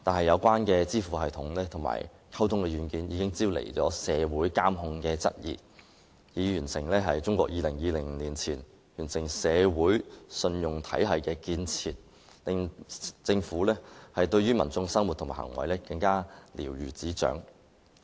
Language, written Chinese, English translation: Cantonese, 可是，這些支付系統及溝通軟件招來市民質疑有關方面進行"社會監控"，以便中國於2020年前完成"社會信用體系"的建設，使政府對市民的生活和行為更瞭如指掌。, Nonetheless these payment systems and communication software have aroused queries from the public about social surveillance to facilitate China in completing its construction of a social credit system so that the Government will gain a better understanding of the lives and behaviour of the people